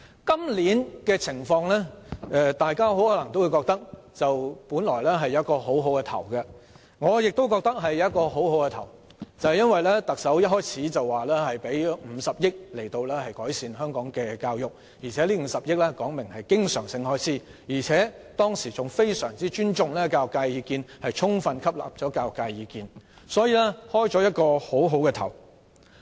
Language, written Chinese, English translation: Cantonese, 大家或許也認為今年原本開局不錯，而我亦認為開局不錯，因為特首一開始便表示會撥款50億元以改善香港教育，並表明這50億元屬經常性開支，當時還十分尊重並充分吸納教育界的意見，所以開局不錯。, Members may think that we originally had a good start this year . That is also how I think because from the outset the Chief Executive undertook to make a provision of 5 billion to improve our education and made it clear that it would be recurrent in nature highly respecting and fully taking into account the views of the education sector thereby contributing to a good start back then